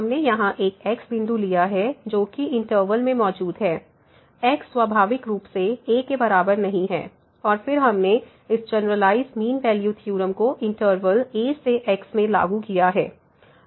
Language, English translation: Hindi, So, we have taken a point here in the interval, is naturally not equal to and then we have applied this generalized mean value theorem in the interval to ok